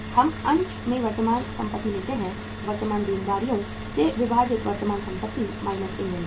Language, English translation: Hindi, In the current ratio we take current assets minus current uh current asset divided by current liabilities